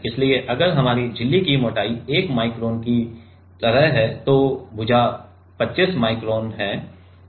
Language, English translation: Hindi, So, if your membrane if our membrane thickness is like 1 micron then the side is 25 micron